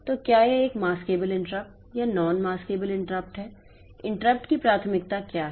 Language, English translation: Hindi, So, whether it is a maskable interrupt or non masculable interrupt, what is the priority of the interrupt